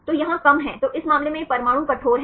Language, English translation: Hindi, So, here there are less then this case these atoms are rigid